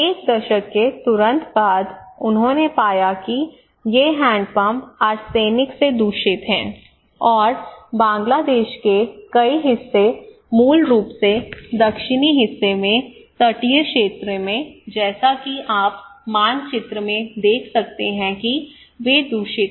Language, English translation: Hindi, Immediately after one decade, they found these hand pumps are contaminated by arsenic and anyway so in many parts of Bangladesh are basically the coastal areas in the southern part as you can see in the map they are contaminated